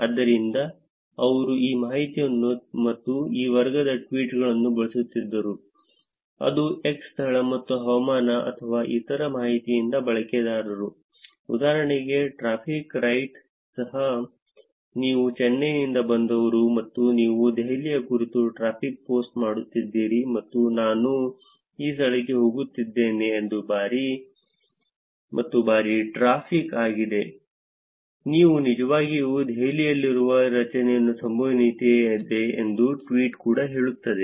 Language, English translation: Kannada, So, they were using this information and the tweets that were of this category which is user from location x and weather or other information, for example, even traffic right, you are from Chennai and you actually post you’re posting traffic about Delhi and the tweet is also saying that I am going to this place and that is a heavy traffic, there is a higher probability that you are actually in Delhi